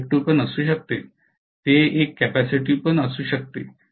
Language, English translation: Marathi, It can be inductive; it can be a capacitive